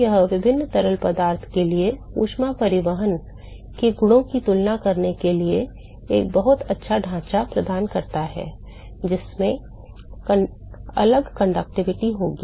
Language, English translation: Hindi, So, this provides a very nice framework for comparing the properties of heat transport for different fluid which will have different conductivity